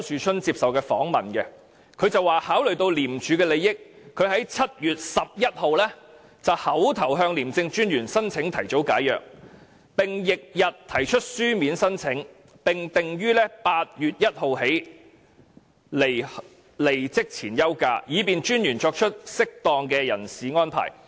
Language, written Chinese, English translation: Cantonese, 他在訪問中表示，經考慮廉署的利益，他在7月11日口頭向廉政專員申請提早解約，並於翌日提出書面申請，訂於8月1日開始離職前休假，以便廉政專員作出適當的人事安排。, He said during the interview that having considered the interest of ICAC he made a verbal application to the Commissioner of ICAC for an early resolution of agreement on 11 July and tendered a written application to him the following day . He was to proceed on final leave on 1 August so as to allow time for the Commissioner of ICAC to make appropriate personnel arrangements